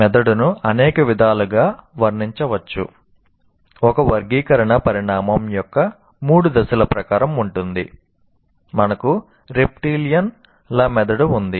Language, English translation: Telugu, According, one classification is according to three stages of evolution